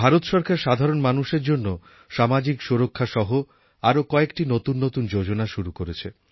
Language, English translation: Bengali, The government of India has launched various schemes of social security for the common man